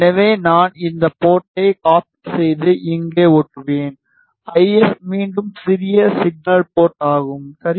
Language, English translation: Tamil, So, I will use just copied this port and paste here; IF is again small signal port ok